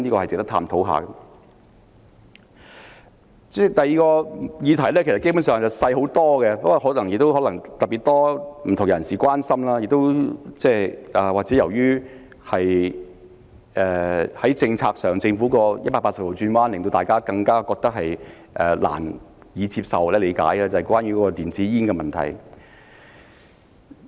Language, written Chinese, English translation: Cantonese, 主席，第二項議題基本上是細小很多，但可能有特別多不同人士關心，或者由於政府在政策上作180度轉彎，令大家難以接受或理解，那便是電子煙的問題。, President the second issue is basically much smaller in scale but it has aroused the concern of an exceptionally large number of different people . Perhaps the Governments 180 - degree change in its policy has made it difficult for people to accept or understand and the issue I am talking about is the policy on electronic cigarettes